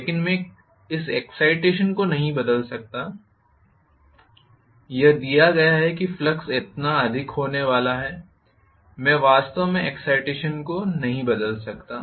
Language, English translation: Hindi, But I cannot vary this excitation it is a given that the flux is going to be so much, I cannot really vary the excitation